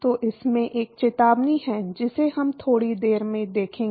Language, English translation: Hindi, So, there is 1 caveat to it, which we will see in a short while